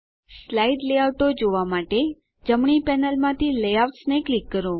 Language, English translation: Gujarati, To view the slide layouts, from the right panel, click Layouts